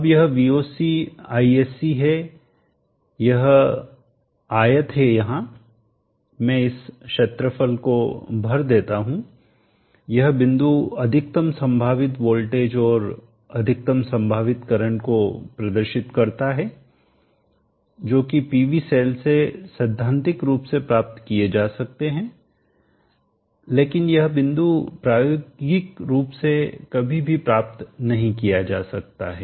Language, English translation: Hindi, And this point is Voc, Isc point has shown here now this Voc, Isc this rectangular here now let me fill up this area represents this point here represents the maximum possible voltage and the maximum possible current that is critically possible from the PV cell but this point will never be reached